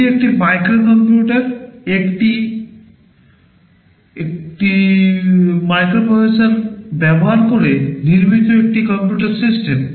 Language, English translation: Bengali, This is a microcomputer, it is a computer system built using a microprocessor